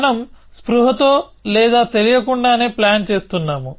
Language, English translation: Telugu, We are planning consciously or unconsciously